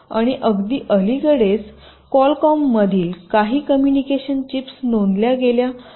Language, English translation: Marathi, and very recently some communication chips from have been reported